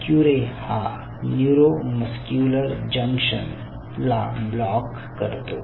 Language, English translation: Marathi, curare can block the neuromuscular junction in a very unique way